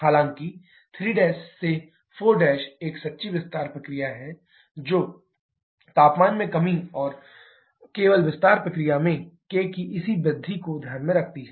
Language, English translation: Hindi, However, 3 prime to 4 prime is a true expansion process which takes into consideration the reduction in temperature and corresponding increase in k in the expansion process only